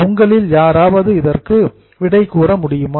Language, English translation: Tamil, Can somebody tell me the answer